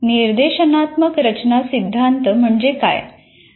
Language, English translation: Marathi, What is the design oriented theory